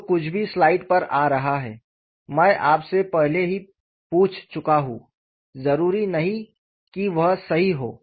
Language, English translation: Hindi, I have already questioned you whatever that is coming on the slide not necessarily be correct